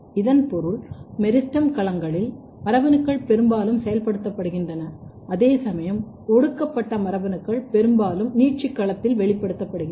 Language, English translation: Tamil, So, which means that in the meristematic genes or in the meristem domains, the genes are mostly getting activated whereas, repressed genes are mostly expressed in the elongation domain